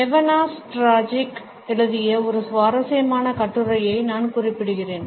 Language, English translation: Tamil, I would refer to a very interesting article by Nevana Stajcic